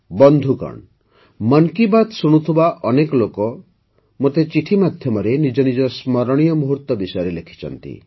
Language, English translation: Odia, Friends, many people who listened to 'Mann Ki Baat' have written letters to me and shared their memorable moments